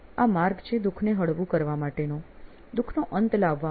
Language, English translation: Gujarati, It is to mitigate the suffering, to put an end to the suffering